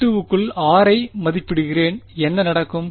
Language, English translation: Tamil, I evaluate take r inside V 2 what will happen